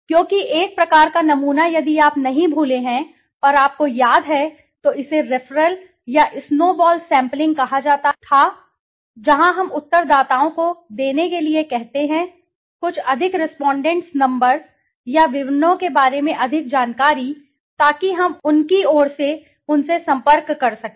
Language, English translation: Hindi, Because one type of sampling if you have not forgotten and you remember it then was called the referral or the snowball sampling where we ask the respondents to give the, some more details about more respondent numbers or details so that we could contact them through their behalf